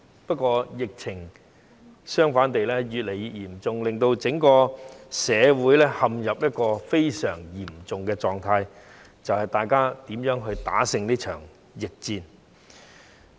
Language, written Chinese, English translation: Cantonese, 不過，疫情反而越來越嚴重，令整個社會陷入一個非常嚴重的狀態，大家要想辦法如何戰勝這場疫戰。, However the pandemic is getting more serious and the whole community has come to a very critical situation . We have to find ways to win this pandemic battle